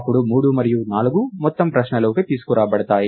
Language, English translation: Telugu, Then three and four are brought into the ah